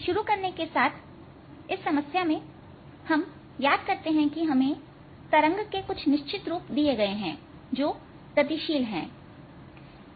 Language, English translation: Hindi, so to start with, in this problem, recall that we had given certain forms for waves which are traveling